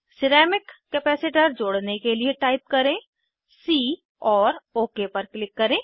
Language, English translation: Hindi, Type c to add ceramic capacitor and click OK